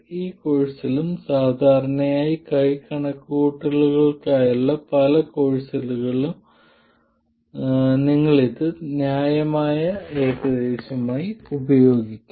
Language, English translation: Malayalam, In this course and generally in many courses for hand calculations you will end up using this as a reasonable approximation